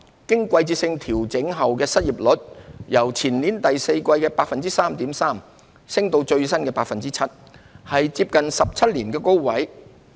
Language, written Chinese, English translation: Cantonese, 經季節性調整的失業率由前年第四季的 3.3% 升至最新的 7%， 是接近17年的高位。, The seasonally adjusted unemployment rate went up from 3.3 % in the fourth quarter of 2019 to 7 % in the latest period the highest in close to 17 years